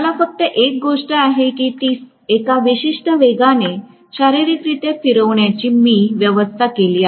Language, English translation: Marathi, Only thing is I have to arrange to physically rotate it at a particular speed